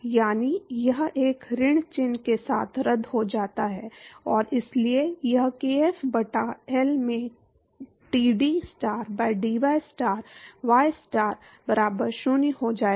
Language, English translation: Hindi, So that is, this cancels out with a minus sign and so that will be kf by L into dTstar by dystar, ystar equal to 0